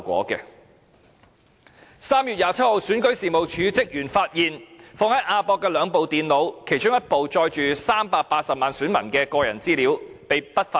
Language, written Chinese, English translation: Cantonese, 在3月27日，選舉事務處職員發現放在亞洲國際博覽館的兩部電腦被不法分子偷去，其中一部載有380萬名選民的個人資料。, On 27 March REO staff found that two computers kept in the AsiaWord - Expo AWE had been stolen by criminal elements . One of these two computers contained the personal information of 3.8 million registered voters